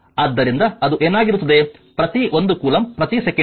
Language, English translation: Kannada, So, it will be your what you call that per 1 coulomb per second right